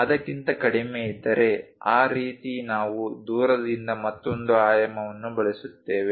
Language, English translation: Kannada, If it is less than that we use other dimension from away, like that